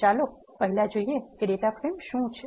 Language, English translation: Gujarati, Let us first look at what data frame is